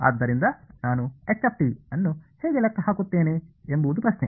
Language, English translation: Kannada, So, the question is how would I calculate h